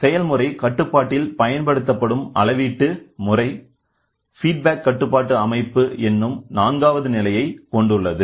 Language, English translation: Tamil, The measuring system employed in process control comprises a fourth stage called as feedback control system